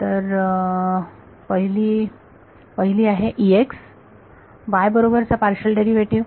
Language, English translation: Marathi, So, the first one is E x partial derivative with respect to y